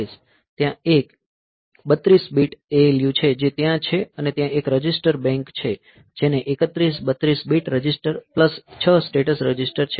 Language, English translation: Gujarati, So, there is a 32 bit ALU that is there and there is a register bank that has got 31, 32 bit registers plus 6 status registers